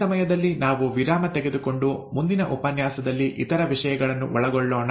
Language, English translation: Kannada, I think at this point in time, we will take a break for the next , and cover the other things in the next lecture